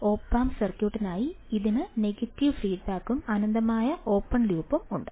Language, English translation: Malayalam, For the op amp circuit, it is having negative feedback and infinite open loop